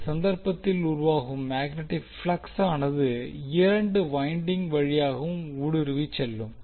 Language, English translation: Tamil, And the magnetic flux in that case, generated will goes through the both of the windings